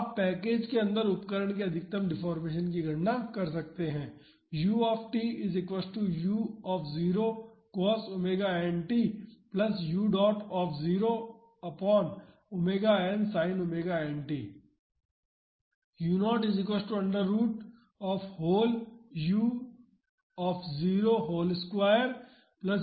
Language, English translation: Hindi, So, you can calculate the maximum deformation of the instrument inside the package